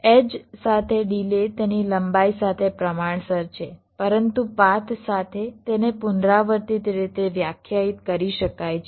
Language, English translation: Gujarati, delay along an edge is proportional to its length, but along a path it can be defined recursively